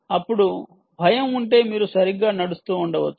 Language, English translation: Telugu, then, if there is panic, you could be running right